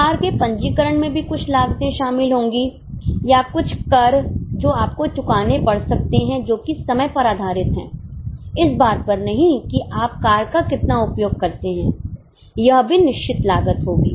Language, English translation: Hindi, There will also be some costs involved in the registration of car or some taxes which you may have to pay which are time based, not based on how much is your use of car